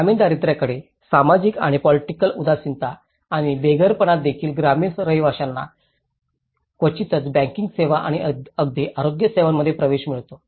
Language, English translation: Marathi, The social and political indifference towards rural poverty and also the homelessness the rural residents rarely access to the banking services and even health care